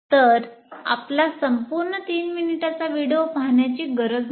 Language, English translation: Marathi, So you don't have to go through watching the entire 30 minute video